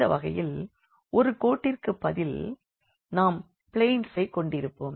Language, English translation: Tamil, So, in this case we will have instead of a line we will have a planes